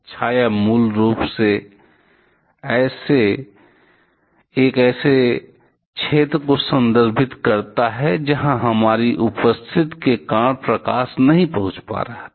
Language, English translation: Hindi, Shadow basically refers to a zone where light was not able to reach, because of our presence